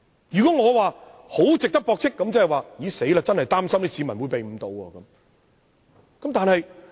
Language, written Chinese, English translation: Cantonese, 如果說他十分值得駁斥，即是說我真的擔心市民會被他誤導。, If I agree that what he said is very much worth refuting I will be really worried that members of the public would be misled